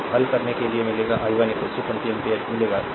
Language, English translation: Hindi, So, you will get after solving, you will get i 1 is equal to 20 ampere